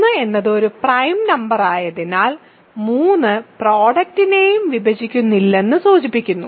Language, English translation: Malayalam, But because 3 is a prime number, this implies 3 does not divide the product also